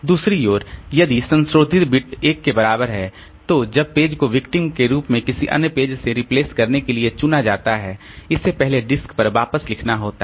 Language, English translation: Hindi, On the other hand if the modify bit is equal to 1 then when the page is if the page is chosen as a victim to be replaced by another page it has to be first written back onto the disk